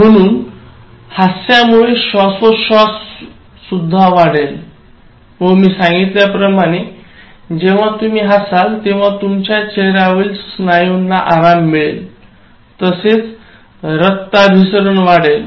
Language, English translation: Marathi, So, thus laughter will enhance respiration and as I said, you relax many of your face muscles, when you laugh, laughter enhances blood circulation